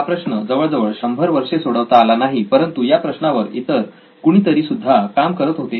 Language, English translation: Marathi, This problem was unsolved for 100 years but somebody else also tried to solve this problem